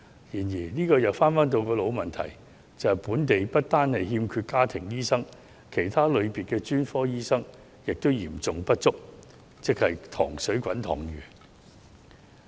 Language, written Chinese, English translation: Cantonese, 然而，這又回到老問題，即香港不單欠缺家庭醫生，連其他類別的專科醫生亦嚴重不足，即是人才供應"塘水滾塘魚"。, Nevertheless this will go back to the old problem that Hong Kong is not only in lack of family doctors but also seriously in lack of various kinds of specialist doctors and so the crux of the problem is the limited supply of doctors